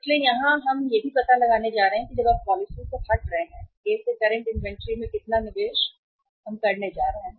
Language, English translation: Hindi, So here also we are going to find out that when you are moving from the policy A current to A how much investment in the inventory we are going to make